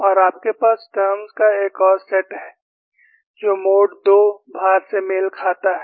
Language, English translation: Hindi, And you have another set of terms, which corresponds to mode 2 loading